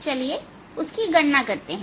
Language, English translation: Hindi, lets calculate those